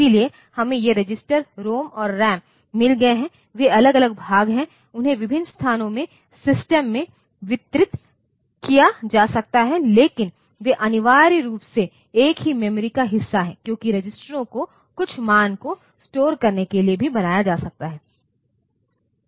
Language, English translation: Hindi, So, we have got these registers ROM and RAM, they are different part, they may be distributed in the system in various places, but they are essentially part of the same memory, because the registers can also be made to store some value that way